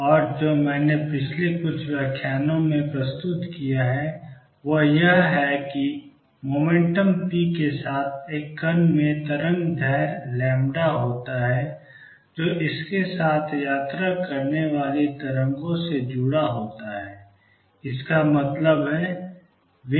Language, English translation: Hindi, And what I have presented the last couple of lecturers is that a particle with momentum p has wavelength lambda associated with the waves travelling with it; that means, lambda wave is h over p